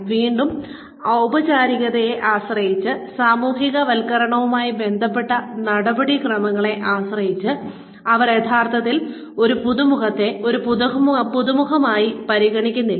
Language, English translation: Malayalam, Again, depending on the formality, depending on the procedures, associated with the socialization, they do not really consider a newcomer, as a newcomer